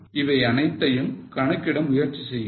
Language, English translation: Tamil, Try to calculate all these things